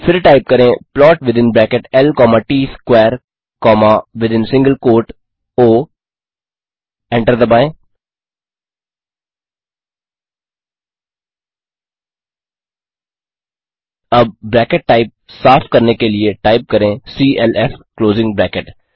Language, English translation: Hindi, Type clf closing bracket and hit enter Then Type plot within bracket L comma Tsquare comma within single quote o hit enter now to clear the bracket type clf closing bracket Let us move further